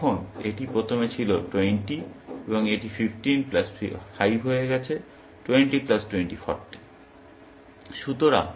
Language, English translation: Bengali, Because now, it was originally, 20 and this has become 15 plus 5; 20 plus 20; 40